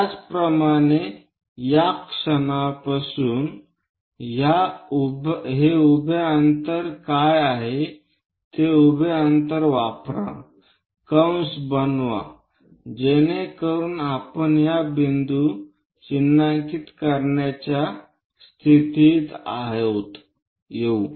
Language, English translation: Marathi, Similarly, from this point, what is this vertical distance, use that vertical distance make an arc so that we will be in a position to mark these points